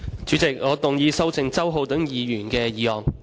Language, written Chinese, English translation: Cantonese, 主席，我動議修正周浩鼎議員的議案。, President I move that Mr Holden CHOWs motion be amended